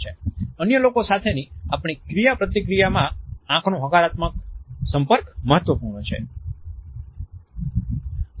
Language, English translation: Gujarati, Positive eye contact is important in our interaction with other people